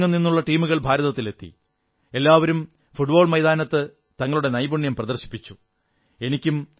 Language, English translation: Malayalam, Teams from all over the world came to India and all of them exhibited their skills on the football field